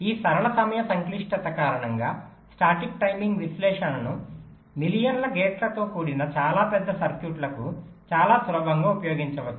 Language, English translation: Telugu, because of this linear time complexity, the static timing analysis can be very easily used for very large circuits comprising of millions of gates as well